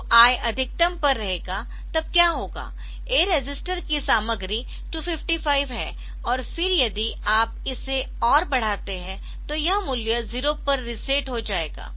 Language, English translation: Hindi, So, I will be at this maximum then what will happen the content of the a register is 255 and then if you increase it further